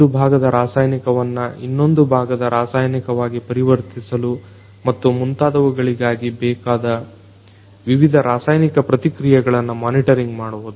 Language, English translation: Kannada, also monitoring the different chemical reactions that are required in order to transform one part of the chemical to another part and so on